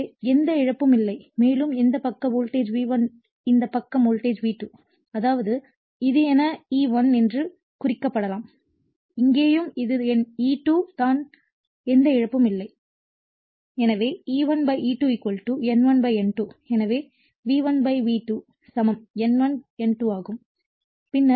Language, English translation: Tamil, So, we are assuming there is no loss right so, and this side is voltage V1 this side is voltage V2; that means, this is if it is marked that this is my E1 and here also it is my E2 we are assuming there is no loss